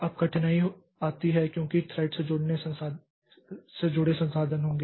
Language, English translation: Hindi, Now, difficulty comes because there will be resources associated with the thread